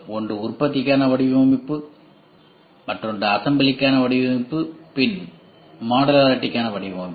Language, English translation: Tamil, One is design for manufacturing, design for assembly and design for modularity